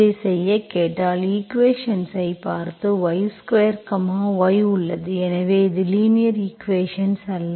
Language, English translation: Tamil, If I ask you to do this, you see by looking at the equation, you have y square, y is tan inverse y, so it is not linear equation